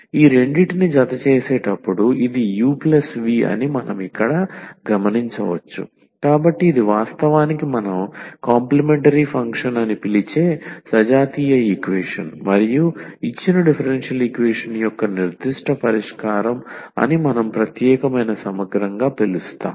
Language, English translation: Telugu, Then what we will observe here that this u plus v when we add these two, so this u the for the homogeneous equation which we call actually the complimentary function and a particular solution of the given differential equation we call the particular integral